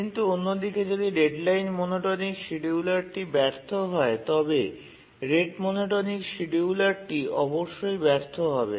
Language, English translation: Bengali, But on the other hand, whenever the deadline monotonic scheduler fails, the rate monotonic scheduler will definitely fail